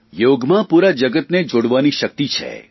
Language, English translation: Gujarati, Yoga has the power to connect the entire world